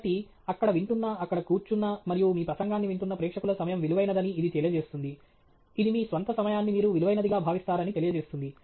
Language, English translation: Telugu, So, it conveys that you value the time of the audience who are listening there, sitting there and listening to your talk; it also conveys that you value your own time